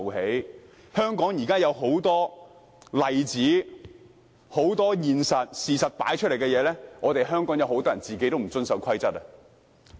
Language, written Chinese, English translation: Cantonese, 現時香港已有很多例子，事實擺在眼前，很多香港人本身都不遵守規則。, There are too many examples and evidence has proved that many Hong Kong people have not followed the rules